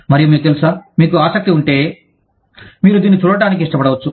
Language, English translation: Telugu, And, you know, if you are interested, you might like to watch it